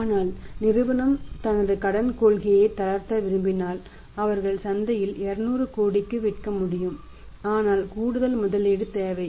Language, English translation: Tamil, But what if company wants to relax its credit policy then they can for the sell for 200 crores in the market but additional investment is required